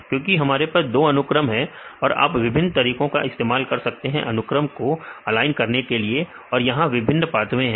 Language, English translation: Hindi, Because we can have two sequences you can use various ways to align the sequences right, where there is a different pathways right